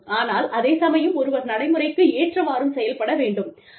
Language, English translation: Tamil, So, but at the same time, one has to be practical